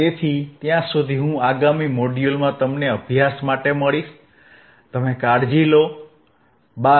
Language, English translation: Gujarati, So, till then I will see in the next module, you take care, bye